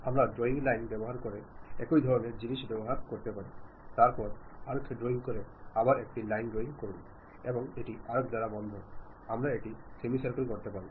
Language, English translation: Bengali, We can use same kind of thing by using drawing lines, then drawing arcs, again drawing a line and closing it by arc also, semi circle, we can do that